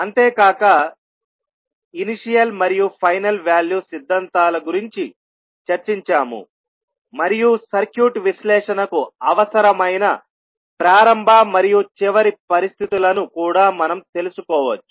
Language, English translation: Telugu, And we also discussed the initial and final value theorems also through which we can find out the initial and final conditions required for circuit analysis